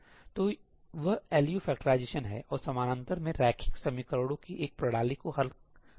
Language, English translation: Hindi, So, that is LU factorization and solving a system of linear equations in parallel